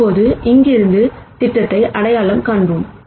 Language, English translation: Tamil, Now, let us proceed to identify the projection from here